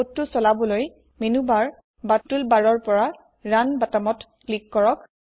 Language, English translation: Assamese, Click on the Run button from Menu bar or Tool bar to run the code